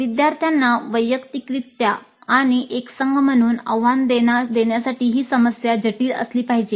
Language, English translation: Marathi, The problem should be complex enough to challenge the learners individually and as a team